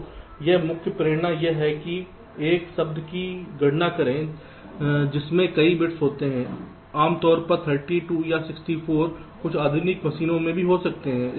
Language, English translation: Hindi, so here the main motivation is that compute, a, words are a contained multiple bits, typically thirty two or sixty four also in some modern machines